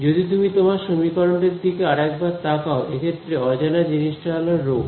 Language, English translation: Bengali, If you look at your equation over here once more the unknown, in this case the unknown is rho